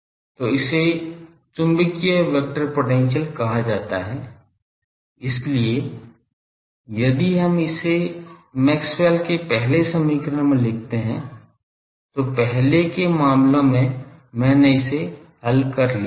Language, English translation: Hindi, So, this is called magnetic vector potential, so if we put this into Maxwell’s first equation which in earlier cases I solved